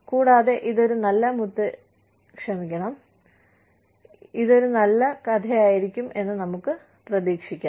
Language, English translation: Malayalam, And, let us hope, this is a nice grandmother